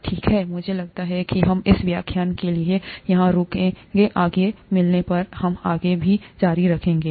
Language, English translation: Hindi, Fine, I think we will stop here for this lecture, we will continue further when we meet next